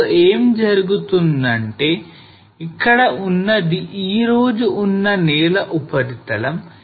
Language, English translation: Telugu, Now what will happen is this is a present day ground surface here